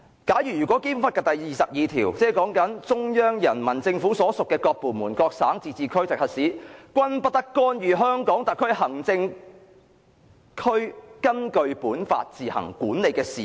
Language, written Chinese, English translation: Cantonese, 根據《基本法》第二十二條："中央人民政府所屬各部門、各省、自治區、直轄市均不得干預香港特別行政區根據本法自行管理的事務。, According to Article 22 of the Basic Law No department of the Central Peoples Government and no province autonomous region or municipality directly under the Central Government may interfere in the affairs which the Hong Kong Special Administrative Region administers on its own in accordance with this Law